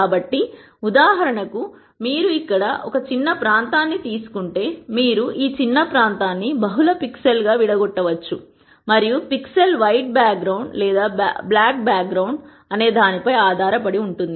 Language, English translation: Telugu, So, in this case for example, if you take a small region here you can break this small region into multiple pixels and depending on whether a pixel is a white background or a black background you can put in a number